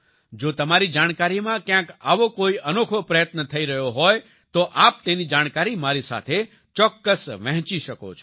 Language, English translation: Gujarati, If you are aware of any such unique effort being made somewhere, then you must share that information with me as well